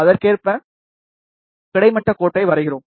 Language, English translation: Tamil, Correspondingly, we draw the horizontal line